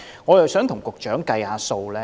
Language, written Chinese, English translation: Cantonese, 我想跟局長計算一下。, I would like to do some calculations with the Secretary